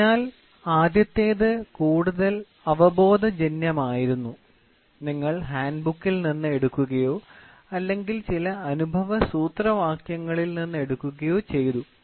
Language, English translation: Malayalam, So, the first one was more of intuition and you picked up from the handbook or you picked up from some empirical formulas